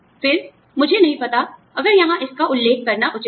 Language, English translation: Hindi, Again, I do not know, if it is appropriate to mention it here